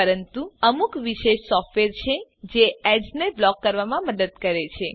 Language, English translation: Gujarati, But there are specialized software that help to block ads